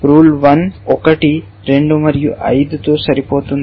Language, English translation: Telugu, This one is matching 1 and 2 and 5